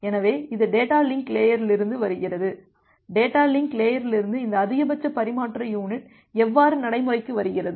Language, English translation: Tamil, So, that comes from the concept of data link layer, how this maximum transmission unit from data link layer comes into practice